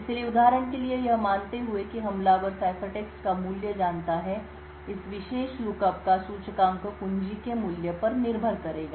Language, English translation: Hindi, So, for example assuming that the attacker knows the value of the ciphertext, index of this particular lookup would depend on the value of the key